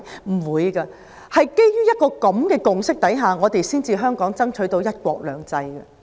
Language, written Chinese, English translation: Cantonese, 香港是基於這種共識，才爭取到"一國兩制"。, It is on the basis of this consensus that Hong Kong has succeeded in securing one country two systems